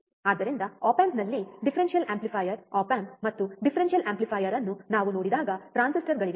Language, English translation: Kannada, So, when we see differential amplifier op amp and differential amplifier within the op amp there are transistors